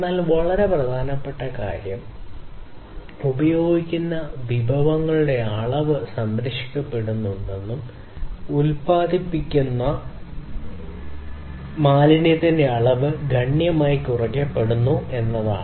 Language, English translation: Malayalam, But what is also very important is to ensure that the resources that are used in all different other terms are also conserved the amount of resources that are used are all conserved and the amount of waste that is produced should be reduced significantly